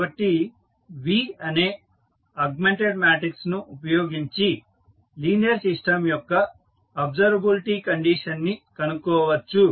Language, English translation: Telugu, So, using the augmented matrices that is V, you can find out the observability condition of linear a system